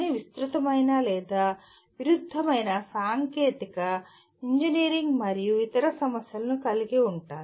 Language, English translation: Telugu, They involve wide ranging or conflicting technical engineering and other issues